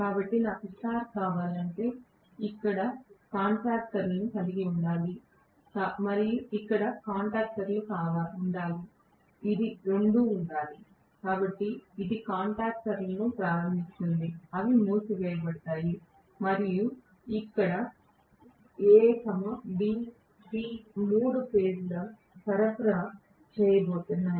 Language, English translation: Telugu, So, if I want star I have to actually have contactors here, and contactors here, this two have to be, so this are starting contactors, they will be closed and I am going to have A B C three phase supply applied here right